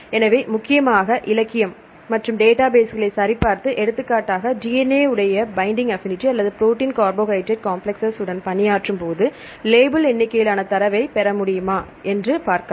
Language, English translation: Tamil, So, you can check the literature and the mainly databases and see whether you can get label number of data for example if I am working on the binding affinity of DNA complexes or protein carbohydrate complexes